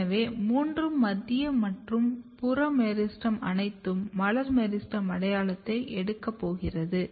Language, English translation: Tamil, So, all three central and peripheral meristem all are going to take floral meristem identity